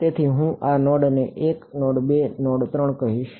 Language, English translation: Gujarati, So, I am going to call this node 1 node 2 and node 3